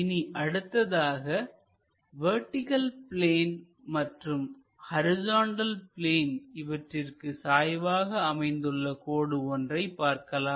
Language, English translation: Tamil, And this is a line perpendicular to both vertical plane and horizontal plane